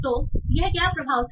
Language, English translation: Hindi, So what was this effort